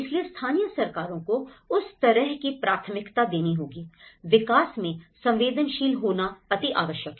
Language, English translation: Hindi, So, the local governments have to give that kind of priority that you know, one has to be sensitive enough in the development